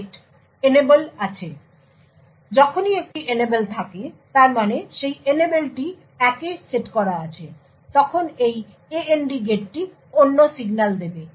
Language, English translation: Bengali, So, whenever there is an Enable that is whenever the Enable is set to 1, this AND gate would pass the other signal through